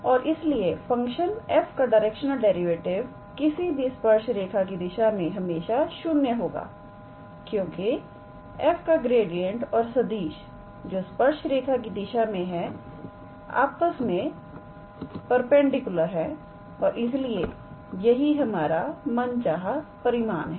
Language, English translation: Hindi, And therefore, the directional derivative of the function f along any tangent line in the direction of any tangent line is always it goes to 0 because gradient of f and that vector along the tangent line are mainly perpendicular to each other and therefore, this is our required result